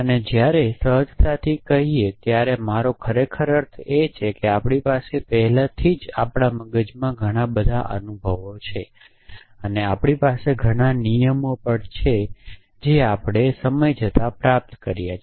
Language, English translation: Gujarati, And when say instinctively what I really mean is that we already have lots of experiences toward in our heads and we also have lot of rules that we have acquired over a period of time